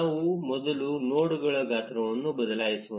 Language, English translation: Kannada, Let us first change the size of the nodes